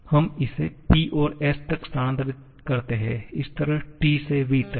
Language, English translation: Hindi, Let us move from this, from P to s, similarly from T to v